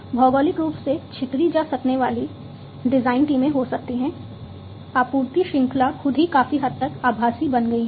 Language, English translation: Hindi, There could be geographically dispersed design teams supply chain itself has been made virtual to a large extent